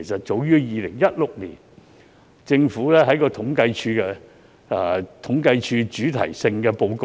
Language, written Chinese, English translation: Cantonese, 早於2016年，政府統計處的主題性報告中已有提及"劏房"的定義。, As early as in 2016 SDUs has been defined in a Thematic Report of the Census and Statistics Department